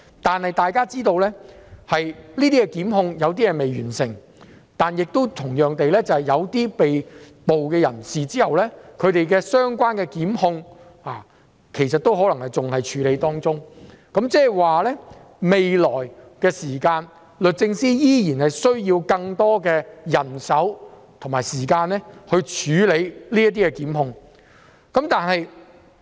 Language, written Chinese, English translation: Cantonese, 不過，大家要知道，有些檢控尚未完成，同樣地，有些被捕人士的相關檢控仍在處理中，即是律政司未來仍需要更多人手和時間處理這些檢控。, We should understand that some prosecutions are still under progress . The prosecutions against some arrested individuals are still being processed . The Department of Justice will thus require more manpower and time to handle these prosecutions